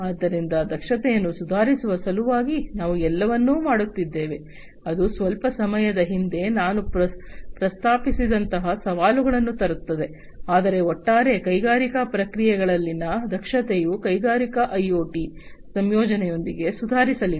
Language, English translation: Kannada, So, we are doing everything in order to improve upon the efficiency, of course that brings in challenges like the ones that I just mentioned a while back, but overall the efficiency in the industrial processes are going to be improved with the incorporation of industrial IoT